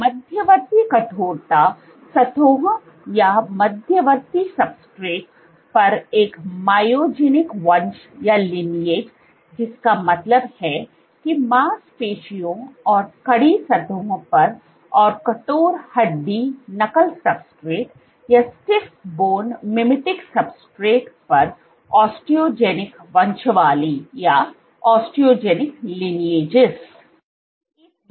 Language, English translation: Hindi, A myogenic lineage on intermediate stiffness surfaces, stiffness substrates, which mean that of muscle and on stiff surfaces and osteogenic lineages on stiff bone mimetic substrates